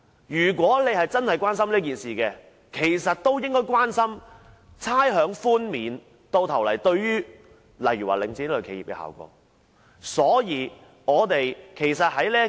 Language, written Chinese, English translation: Cantonese, 如果議員真的關注涉及領展的事宜，其實也應關注差餉寬免最終對領展等企業造成的效果。, If Members are really concerned about matters concerning Link REIT they should actually be concerned about the ultimate impact of rates concession on such enterprises as Link REIT as well